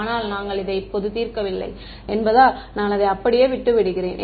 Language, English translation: Tamil, But since we are not solving this right now, I am just leaving it like that right